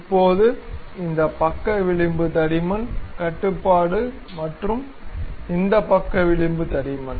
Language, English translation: Tamil, Now, this side flange thickness, control and this side flange thickness